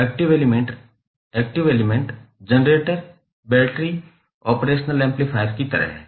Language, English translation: Hindi, Active elements are like generators, batteries, operational amplifiers